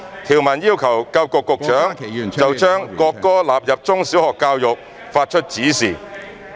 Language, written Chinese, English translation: Cantonese, 條文要求教育局局長就將國歌納入中小學教育發出指示。, which requires the Secretary for Education to give directions for the inclusion of the national anthem in primary and secondary education